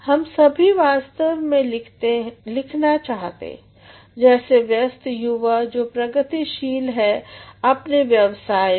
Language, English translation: Hindi, All of us actually want to write, as a young busy and progressing individual whatever profession you are in